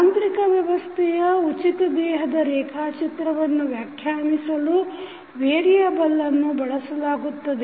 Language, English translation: Kannada, The variable which we will use to define free body diagram of this mechanical system